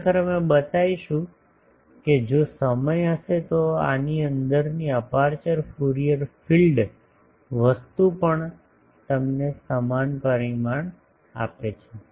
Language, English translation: Gujarati, Actually we will show if time permits that the aperture Fourier field thing etc, etc